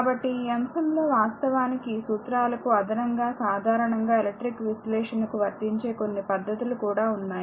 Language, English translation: Telugu, So, in this topic actually in addition to an addition to the laws, we will also involve right some commonly applied technique electric circuit analysis